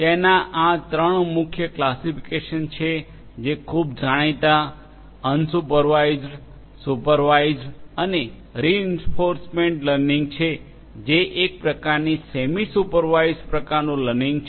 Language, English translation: Gujarati, These are the three main classifications that are very well known unsupervised, supervised and reinforcement learning which is kind of a semi supervised kind of learning, right